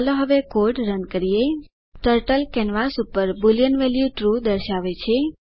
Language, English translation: Gujarati, Lets run the code now Turtle displays Boolean value true on the canvas